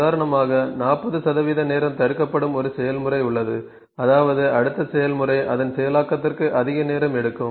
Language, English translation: Tamil, It is being block 40 percent of the time; that means, the next process is taking more time for its processing